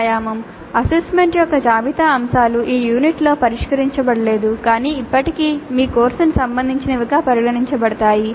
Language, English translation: Telugu, So, a couple of exercises for you list aspects of assessment not addressed in this unit but still considered relevant to your course